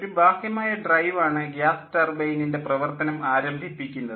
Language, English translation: Malayalam, an external drive starts the gas turbine